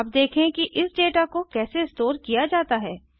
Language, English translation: Hindi, Let us now see how to store this data